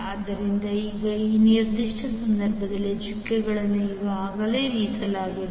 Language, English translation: Kannada, So now in this particular case the dots are already placed